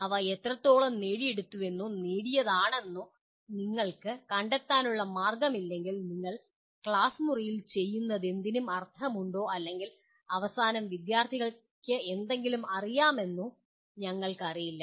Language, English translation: Malayalam, If you have no way of finding out to what extent they have been achieved or attained, we just do not know whether whatever you have done in the classroom makes any sense or in the end student knows anything